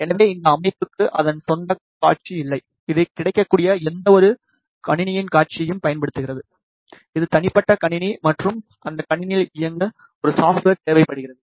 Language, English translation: Tamil, So, this system does not have it is own display, it uses the display of any available PC, which is personal computer and it requires a software to run on that computer